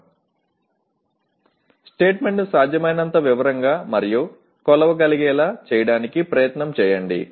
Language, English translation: Telugu, Put in effort to make the CO statement as detailed as possible and measurable